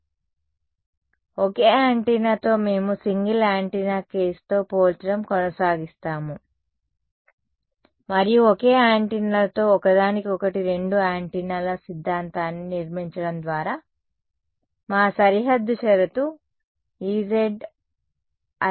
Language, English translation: Telugu, So, with a single antenna, we will keep comparing with the single antenna case and the build the theory of two antennas to each other with the single antennas our boundary condition was E z i A